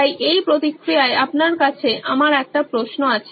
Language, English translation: Bengali, So in this process I have a question for you